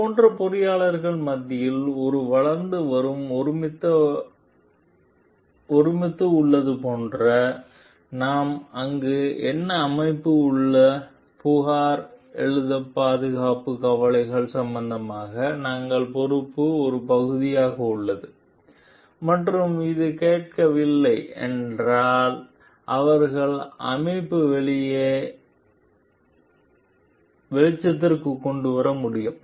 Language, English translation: Tamil, What we find over there like there is a growing consensus amongst the engineers like it is a part of their responsibility to regarding safety concerns to raise complaints and through if within the organization and if it is not heard they can go for whistle blowing outside the organization also